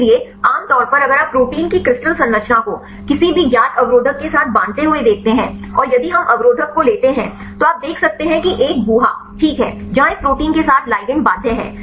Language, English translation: Hindi, So, generally if you look at the crystal structure of a protein right bind with the any known inhibitor, and if we take the inhibitor you can see there is a cavity right where the ligand bound with this protein